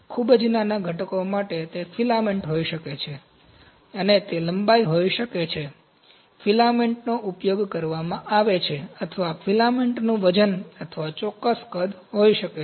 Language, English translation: Gujarati, For the very small components, it can be for filament, it can be length, the length of the frame, filament that is consumed or the weight of the filament or the specific volume